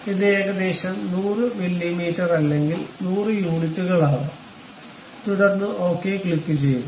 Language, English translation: Malayalam, It may be some 100 mm or 100 units, then click ok